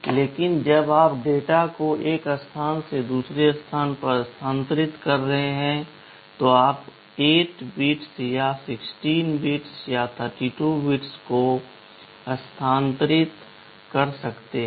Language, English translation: Hindi, But when you are transferring data from one place to another, you can transfer 8 bits or 16 bits or 32 bits